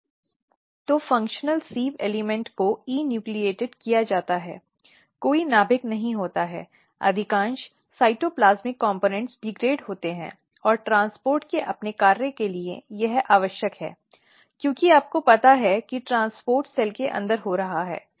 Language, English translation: Hindi, So, sieve element the functional sieve element is enucleated there is no nucleus most of the cytoplasmic components are degraded and this is essential for its function of transport as you know that transport is occurring inside the cell